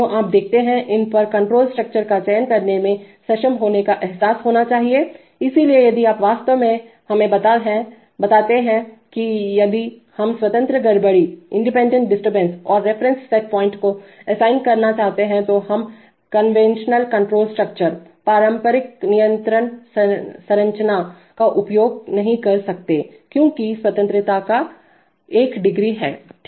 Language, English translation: Hindi, So you see, these have to be realized to be able to choose the control structure, so if you really, so this tells us that if we want to assign independent disturbance and reference set points then we cannot use the conventional control structure, because that is one degree of freedom right